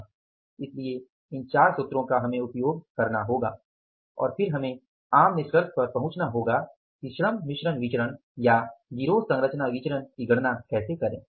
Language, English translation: Hindi, So, these four set of the formulas we will have to make use of and then we will have to arrive at the common conclusion that how to calculate the labour mix variances or the gang composition variances